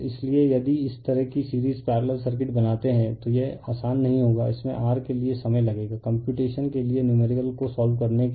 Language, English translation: Hindi, So, if you make this kind of series parallel circuit it will be not easy it will take time for your what you call for solving numerical for computation